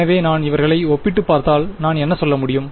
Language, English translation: Tamil, So, if I just compare these guys what can I say